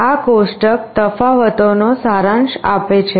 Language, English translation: Gujarati, The table summarizes the differences